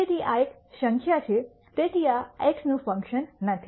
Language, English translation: Gujarati, So, this is a number, so this is not a function of this x